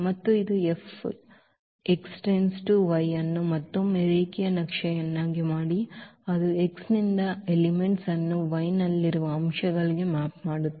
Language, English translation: Kannada, And this let F again be a linear map which maps the elements from X to the elements in Y